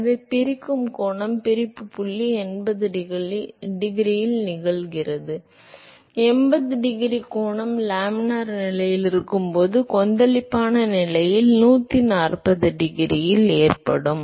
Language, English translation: Tamil, So, the angle of separation the separation point occurs at 80 degrees; 80 degree angle when it is laminar condition while it is turbulent condition it occurs at 140 degree